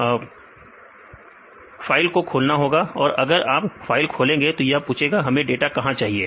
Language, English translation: Hindi, So, we have to open file; so if you click on the open file this will ask where we need to get the data